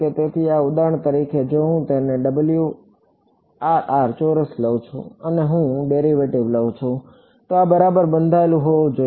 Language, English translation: Gujarati, So, for example, if I take W m x square it and I take the derivative, this should be bounded ok